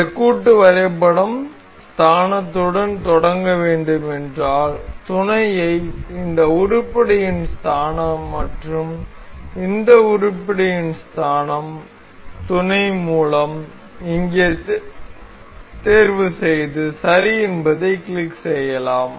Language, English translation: Tamil, So, if we want this assembly to start with origin, we can select mate, the origin of this item and the origin of this item and this mates here, and click ok